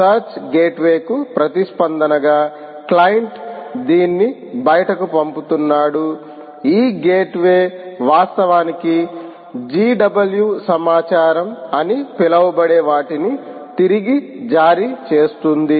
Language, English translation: Telugu, ok, client is ah sending it out for, in response to search gateway, this gateway can actually issue back what is known as a gw info